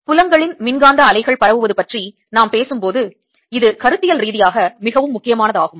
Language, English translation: Tamil, this becomes conceptually very important later when we talk about electromagnetic waves, of fields propagating